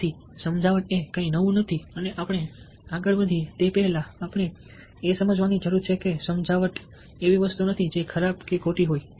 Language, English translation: Gujarati, so persuasion is not something new and before we proceed any further, we need to understand that persuasion is not something which is bad or wrong